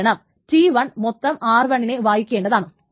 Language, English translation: Malayalam, That is why, that is T1 is reading R1